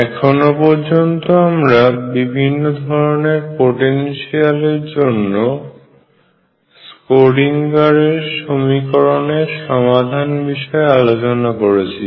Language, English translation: Bengali, So, far we have discussed a couple of examples of solving the Schrödinger equation in different potentials